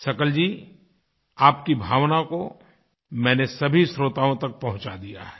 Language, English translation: Hindi, Sakal ji, I have conveyed your sentiments to our listeners